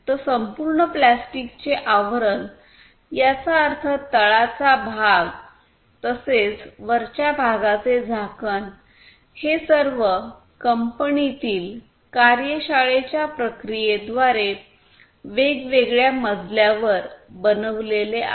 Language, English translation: Marathi, So, the entire plastic casing; that means, the bottom part as well as the top part the lid all of these are made in the different floor through the different workshop processes in this company